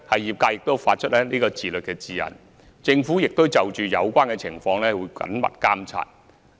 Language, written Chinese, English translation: Cantonese, 業界亦發出自律的指引，而政府會緊密監察有關情況。, The sector also issued guidelines on self - regulation and the Government will also monitor the situation closely